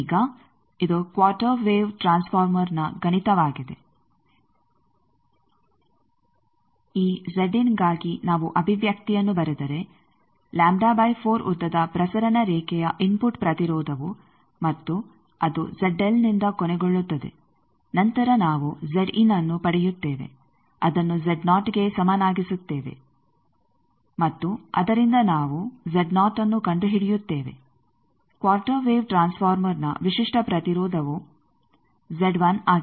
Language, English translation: Kannada, Now, this is the mathematics of quarter wave transformer, if we write the expression for this Z in that input impedance of a transmission line of length lambda by 4 and terminated by Z L then Z in comes something that we equate to Z naught, and from that we solve for what is Z naught, the quarter wave transformer characteristic impedance Z 1